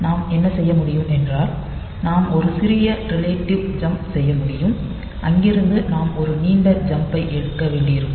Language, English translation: Tamil, So, what we can do is that we can take a small relative jump and from there we may have to take a long jump